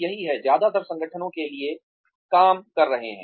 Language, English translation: Hindi, That is what, most organizations are working for